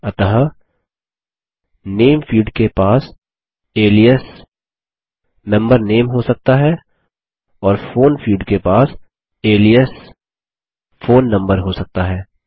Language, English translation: Hindi, So the Name field can have an alias as Member Name and the Phone field can have an alias as Phone Number